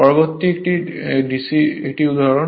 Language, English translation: Bengali, Next is an example